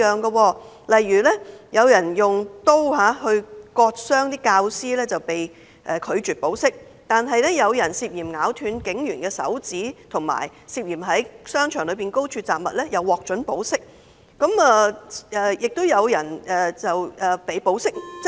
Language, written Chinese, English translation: Cantonese, 舉例來說，有人用刀割傷教師被拒絕保釋，但有人涉嫌咬斷警員手指及涉嫌在商場內高空擲物則獲准保釋，更有人獲准保釋外遊。, For instances a person cutting a teacher with a knife was refused bail yet a person suspected of biting off a police officers finger and another suspected of throwing objects from height have been released on bail and certain people have even been allowed to travel while on bail